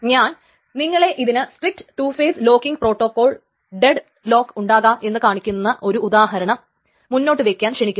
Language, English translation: Malayalam, And I invite you to think of an example to show that in a strict two phase locking protocol, it may still deadlock